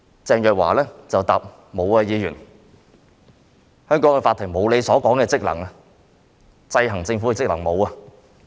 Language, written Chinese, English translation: Cantonese, 鄭若驊只是回答說："許議員，香港法庭沒有你所說的職能，沒有制衡政府的職能。, Their respective replies are as follow Teresa CHENG just replied Mr HUI the Court of Hong Kong does not have the function that you mentioned ie . the function of keeping a check and balance on the Government